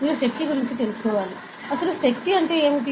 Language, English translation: Telugu, So, you must be aware of force, what is force